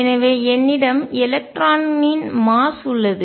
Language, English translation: Tamil, So, I have the mass of electron